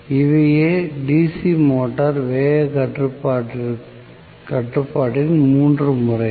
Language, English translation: Tamil, So, these are the 3 methods of DC motor speed control